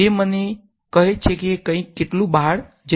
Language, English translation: Gujarati, It told me how much something was going out